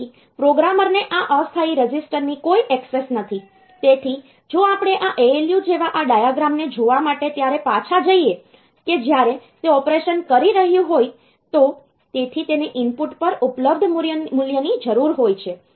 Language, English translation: Gujarati, So, programmer does not have any access to this temporary register; so if we just go back and in to look into this diagram like this ALU when it is doing the operation